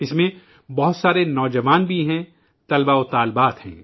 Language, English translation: Urdu, In that, there are many young people; students as well